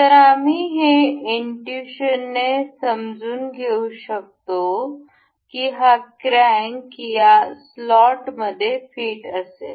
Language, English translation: Marathi, So, we can intuitively understand that this crank is supposed to be fit in this slot